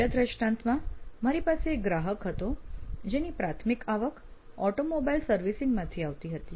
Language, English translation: Gujarati, In another example, I had a client who had primary revenue coming from automobile servicing